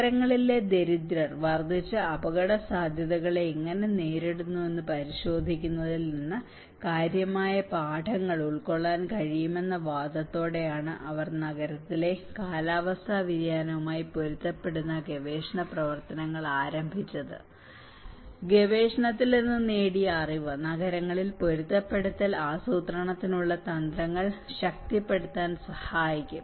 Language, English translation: Malayalam, They research work adaptation to climate change in cities has been initiated with the argument that significant lessons can be drawn from examining how the urban poor are coping with conditions of increased vulnerability, knowledge gained from the research can help to strengthen strategies for adaptation planning in cities